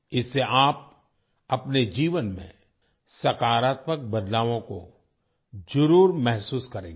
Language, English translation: Hindi, You will certainly feel positive changes in your life by doing this